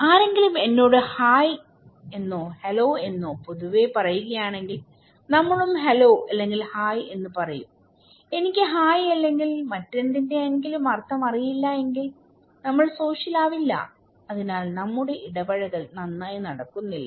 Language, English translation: Malayalam, If somebody is saying to me, hi or hello generally, we say hello are hi, if I say okay I don't know the meaning of hi or anything well, we are not social right, so our interaction is not going on well